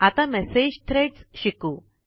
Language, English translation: Marathi, Lets learn about Message Threads now